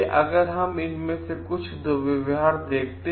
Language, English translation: Hindi, Now, let us see some of these abuses